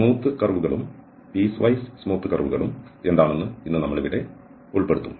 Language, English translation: Malayalam, So, today we will cover here what are the smooth and piecewises smooth curves